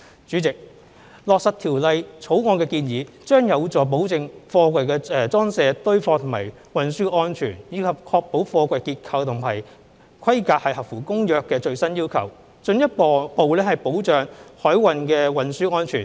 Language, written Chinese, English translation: Cantonese, 主席，落實《條例草案》的建議，將有助保證貨櫃的裝卸、堆放和運輸安全，以及確保貨櫃結構和規格合乎《公約》的最新要求，進一步保障海運的運輸安全。, President the implementation of the proposals in the Bill is conducive to ensuring the safety in the loading stacking and transport of containers and to ensuring that the structural integrity and specifications of containers are in compliance with the latest requirements set down by the Convention which will further protect the safety of maritime transport